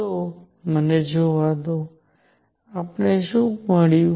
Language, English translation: Gujarati, So, let me see; what we got